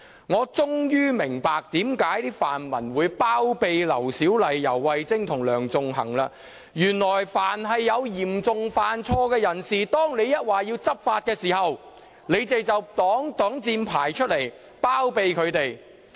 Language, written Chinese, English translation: Cantonese, 我終於明白為何泛民主派議員會包庇劉小麗議員、游蕙禎和梁頌恆，原來凡遇有嚴重犯錯的人，當我們要求執法時，他們便會拿出擋箭牌，包庇他們。, I finally understand why pan - democratic Members would connive at Dr LAU Siu - lai YAU Wai - ching and Sixtus LEUNG . Whenever the Government is asked to take enforcement actions against persons who have made serious mistakes pan - democratic Members will put up all kinds of excuses to connive at them